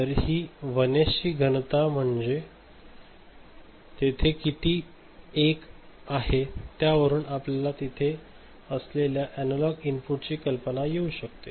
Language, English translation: Marathi, So, this density of 1s so, how many 1s are there ok, that from that you can get the idea of the analog input that is there ok